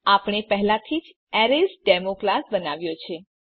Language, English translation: Gujarati, We have already created a class ArraysDemo